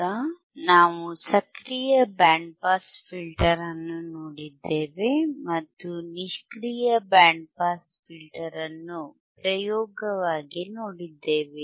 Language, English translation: Kannada, So now what we have seen, we have seen an active band pass filter and we have seen a passive band pass filter as an experiment